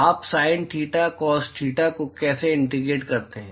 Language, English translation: Hindi, How do you integrate Sin theta Cos theta